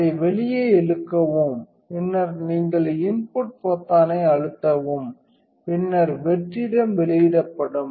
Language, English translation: Tamil, So, is pull it out and then this is you press the enter button and then the vacuum will be released